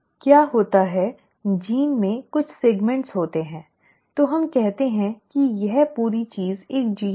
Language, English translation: Hindi, What happens is the gene will have certain segments; so let us say this whole thing is one gene